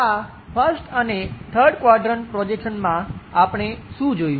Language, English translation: Gujarati, In these 1st and 3rd quadrant projections, what we have seen